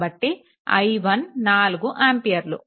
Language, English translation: Telugu, So, i 1 is equal to 4 ampere right